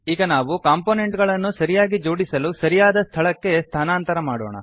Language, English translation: Kannada, Now we will arrange the components, by moving them to appropriate places